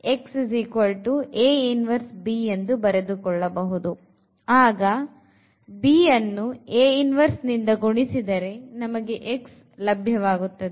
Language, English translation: Kannada, So, we multiplied by this b and then we will get the x